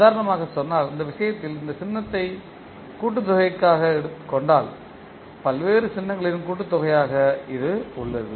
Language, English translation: Tamil, Say for example in this case if you see this particular symbol is for summation where you have the various signals summed up